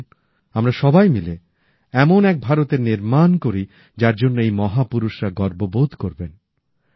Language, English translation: Bengali, Come, let us all strive together to build such an India, on which these great personalities would pride themselves